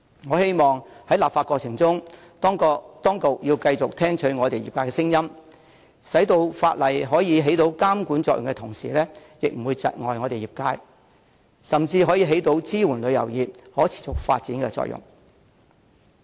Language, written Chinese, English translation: Cantonese, 我希望在立法過程中，當局要繼續聽取業界聲音，使法例在得以發揮監管作用的同時，又不會窒礙業界發展，甚至可收支援旅遊業可持續發展之效。, I hope the Government would continue to listen to the views expressed by the industry during the legislative process so that the proposed ordinance will accomplish the intended regulatory effects while at the same time will not stifle the development of the trade and will even be able to achieve the effect of supporting the sustainable development of the tourism industry